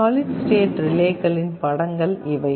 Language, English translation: Tamil, These are some of the pictures of solid state relays